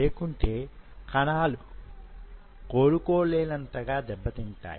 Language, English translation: Telugu, Otherwise it will damage the cells beyond recovery